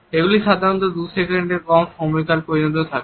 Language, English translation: Bengali, They typically last less than half a second